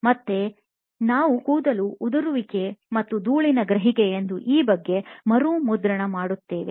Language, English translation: Kannada, Again, I was remarking about this as perception of hair loss and dust